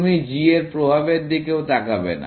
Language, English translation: Bengali, You do not even look at the effect of h